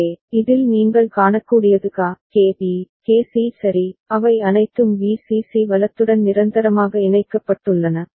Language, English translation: Tamil, So, in this what you can see that KA, KB, KC right, all of them are permanently connected to Vcc right